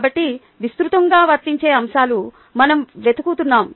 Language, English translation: Telugu, so the wide, widely applicable aspects are the ones that we are looking for